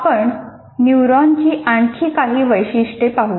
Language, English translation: Marathi, Now let us look at a few more features of neurons